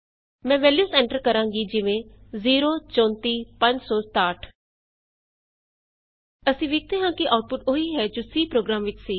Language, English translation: Punjabi, I will enter the values as So we see the output is similar to the C program